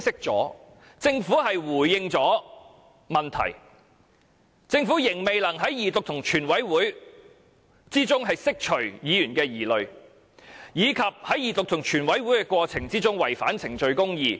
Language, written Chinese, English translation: Cantonese, 政府雖回應了問題，但仍未能在二讀及全體委員會審議過程中釋除議員的疑慮，而且更在二讀及全體委員會審議過程中違反公義。, Although the Government has responded to some questions it cannot address the concerns of Members in the Second Reading and Committee stage of the whole Council . In addition it has breached justice in the Second Reading and Committee stage of the whole Council